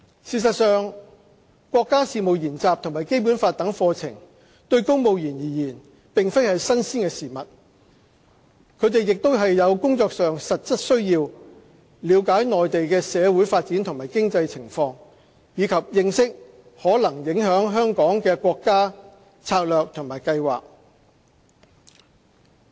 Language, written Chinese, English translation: Cantonese, 事實上，國家事務研習和《基本法》等課程對公務員而言並非新鮮事物，他們亦有工作上的實質需要了解內地的社會發展和經濟情況，以及認識可能影響香港的國家策略和計劃。, As a matter of fact courses such as National Studies and the Basic Law are nothing new to civil servants . As far as their work is concerned they have actual need to understand the social development and economic situation of the Mainland as well as to familiarize with the national strategies and plans which would have impact on Hong Kong